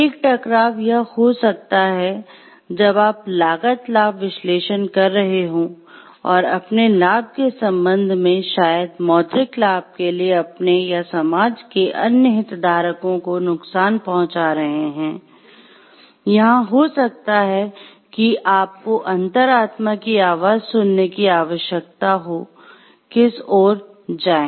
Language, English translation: Hindi, So, there could be conflict of conflicts happening, when you are doing a cost benefit analysis and with respect to the your gains and maybe the harm that you are producing to the society at large or to your other stakeholders for the sake of the monetary gain, that you may be having and there you may need to take a call like which way to go